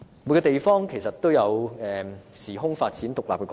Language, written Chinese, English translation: Cantonese, 每個地方都有其時空發展的獨立過程。, Every place has its independent course of development in relation to time and space